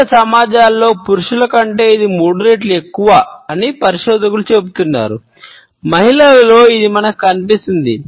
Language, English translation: Telugu, Researchers tell us that it is three times as often as men in different societies, we find that in women